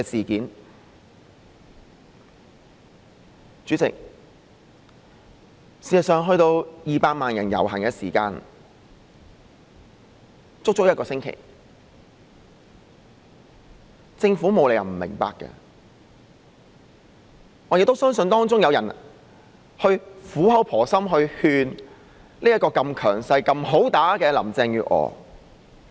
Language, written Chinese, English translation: Cantonese, 代理主席，事實上，在200萬人遊行之前，政府有足足一星期的時間，她沒有理由不明白，我亦相信有人曾苦口婆心勸這個如此強勢又"好打得"的林鄭月娥。, Deputy President as a matter of fact before the procession of 2 million participants the Government had a full week . There was no reason that she did not understand it and I also believe some people must have tendered some kind words of permission to Carrie LAM who is so dominating and such a good fighter